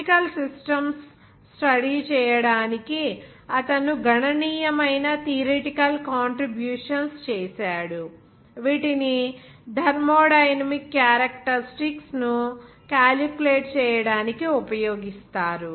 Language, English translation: Telugu, He made significant theoretical contributions to the study of chemical systems, which are used to calculate the thermodynamics characteristics